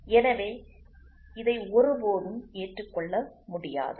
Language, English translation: Tamil, So, this cannot be accepted at all